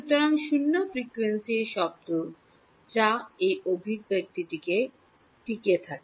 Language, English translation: Bengali, So, at zero frequency what is the term that survives in this expression